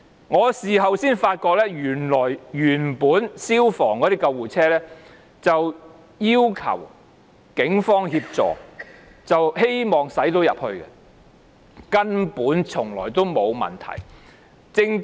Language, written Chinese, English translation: Cantonese, 我事後才知道，原本消防處的救護車要求警方協助，希望能夠駛進去，根本從來沒有問題。, I learnt only afterwards that the Police had been requested to offer assistance by letting FSDs ambulances go in . Throughout there was never any problem